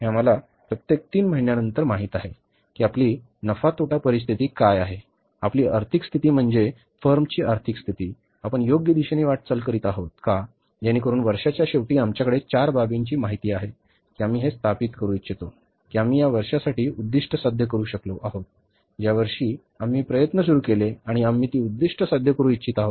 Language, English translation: Marathi, We know after every three months that what is our profit and loss situation, what is our financial position, means the financial position of the firm, are we moving in the right direction so that at the end of the year when we have the four quarters information we would like to establish that we have been able to achieve the objectives for this year, one year which we started with and we want to achieve those objectives